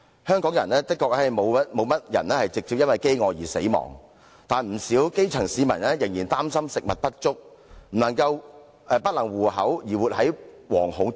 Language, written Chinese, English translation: Cantonese, 香港的確沒有甚麼人直接因飢餓而死亡，但不少基層市民仍然因擔心食物不足、不能糊口而活在惶恐之中。, Indeed starvation is seldom the direct cause of death in Hong Kong but quite a number of grass roots are still living in apprehension worrying about having enough to eat and making ends meet